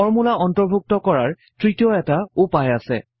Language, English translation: Assamese, There is a third way of writing a formula